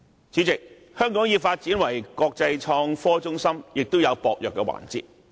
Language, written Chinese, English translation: Cantonese, 主席，在發展成為國際創科中心方面，香港亦有薄弱的環節。, President when it comes to transformation into an international IT hub Hong Kong also has its weaknesses though